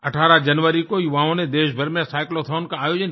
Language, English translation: Hindi, On January 18, our young friends organized a Cyclothon throughout the country